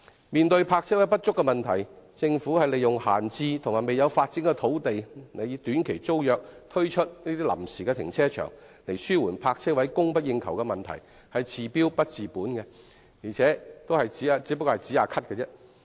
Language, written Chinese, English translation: Cantonese, 面對泊車位不足的問題，政府利用閒置及未有發展的土地，以短期租約形式推出臨時停車場紓緩泊車位供不應求的問題，是治標不治本的，只可以暫時"止咳"。, By using idle land awaiting development as temporary car parks under short - term tenancies to alleviate the shortage of parking spaces the Government can only temporarily suppress the cough rather than curing the disease